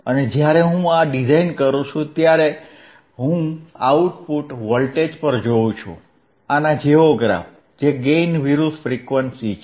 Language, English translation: Gujarati, , right, aAnd when I design this, I see at the output voltage, a plot similar to this, which is the gain vsor is frequency